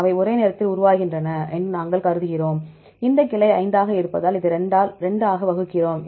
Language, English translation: Tamil, We assume they evolve the same time, with this branch is 5 then we divide this to 2